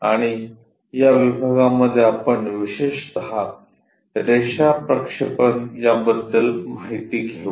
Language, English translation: Marathi, And in this module we will especially cover about line projections